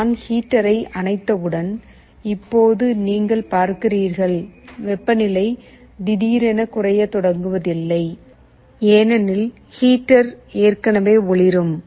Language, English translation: Tamil, Now you see as soon as we turn off the heater, the temperature suddenly does not start to fall because, heater is already glowing